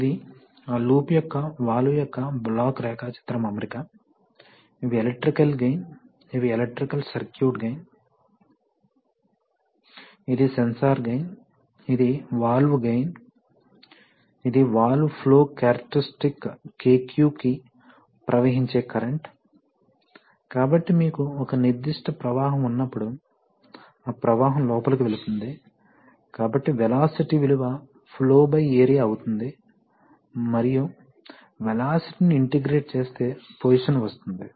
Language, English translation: Telugu, This is a block diagram arrangement of the, of the valve, of that loop, so you see that these, these are the, these are the electrical gains, these are the electrical circuit gains, this is the sensor gain, this is the valve gain, so this is, this is current, this is the current to flow characteristic KQ of the valve, so when you have a certain flow then that flow is going in, so flow by area will give you velocity and velocity, integrated will give you position